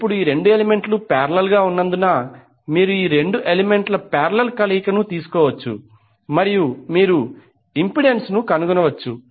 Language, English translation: Telugu, Now since these two elements are in parallel, so you can take the parallel combination of these two elements and you can find out the impedance